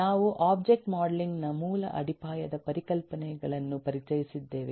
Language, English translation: Kannada, we have introduced a basic foundational concepts of object modelling